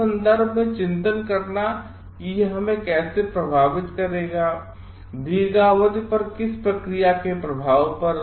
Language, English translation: Hindi, Reflecting in terms of how it would affect us, and contemplating the effect of an action on long term